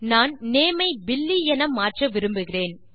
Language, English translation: Tamil, I want to change the name to Billy